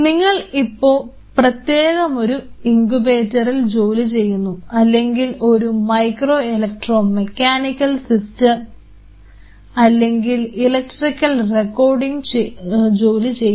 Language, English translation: Malayalam, So, we have to have separate incubators or your working on something like you know micro electro mechanical systems and electrical recordings